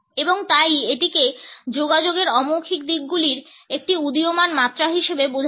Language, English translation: Bengali, And therefore, it is understood as an emerging dimension of non verbal aspects of communication